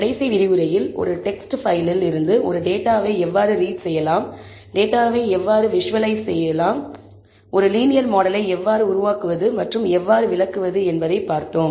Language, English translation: Tamil, In the last lecture, we saw how to read a data from a text file, how to visualize the data, how to build a linear model, and how to interpret it